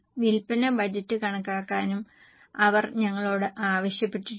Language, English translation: Malayalam, They have also asked us to calculate the sales budget